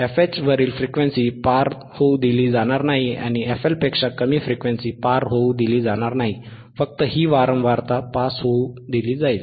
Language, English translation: Marathi, Frequency above thisfH will not be past 3 dB, not allowed to be pass, frequency below thisfL will not be allowed to be passed, only this frequency will be allowed to pass